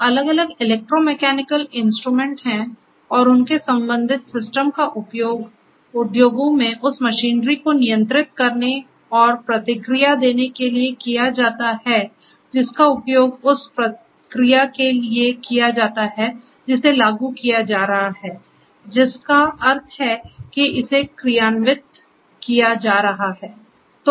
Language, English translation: Hindi, So, there are different electro mechanical instruments that are there and this their associated systems are used in the industries to control and offer feedback to the machinery that is used the process that is being implemented that is in process that means, it is being executed and so on